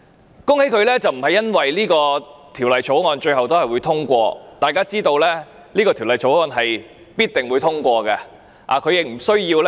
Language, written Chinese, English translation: Cantonese, 我恭喜他，並不是因為這項條例草案最後會獲得通過，大家也知道這項條例草案必定獲得通過。, I do not congratulate him for the passage of this Bill at the end as we all know that this Bill will definitely be passed